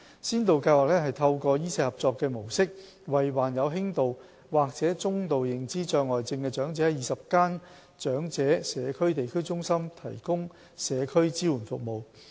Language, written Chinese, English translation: Cantonese, 先導計劃透過"醫社合作"模式，為患有輕度或中度認知障礙症的長者於20間長者地區中心提供社區支援服務。, Under the pilot scheme community support services are provided to elderly persons with mild or moderate dementia through 20 District Elderly Community Centres based on a medical - social collaboration model